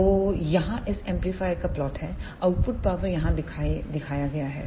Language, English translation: Hindi, So, here is the plot of this amplifier the output power is shown here